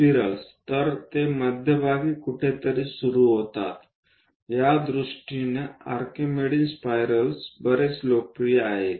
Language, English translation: Marathi, So, they begin somewhere at centre; Archimedean spirals are quite popular in that sense